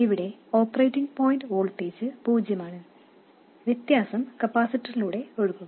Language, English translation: Malayalam, The operating point voltage here is 0 and the difference will be dropped across the capacitor